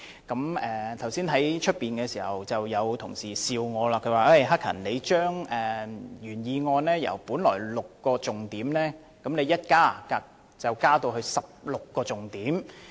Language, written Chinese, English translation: Cantonese, 剛才在會議廳外，有同事跟我笑說，我提出的修正案將原議案的6個重點增加至16個重點。, A moment ago some Honourable colleagues said to me jokingly outside the Chamber that my amendment seeks to increase the 6 key points in the original motion to 16